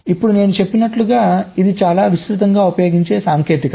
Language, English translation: Telugu, now, as i said, this is one of the most widely used technique